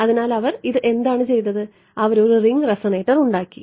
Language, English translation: Malayalam, So, what have they done this they made a ring resonator ok